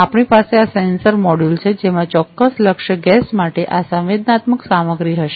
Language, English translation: Gujarati, We have this sensor module, which will have this sensing material for a particular target gas